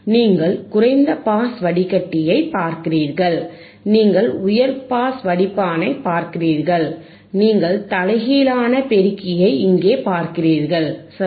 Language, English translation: Tamil, You are looking at the low pass filter, you are looking at the high pass filter, you are looking at the non inverting amplifier here, right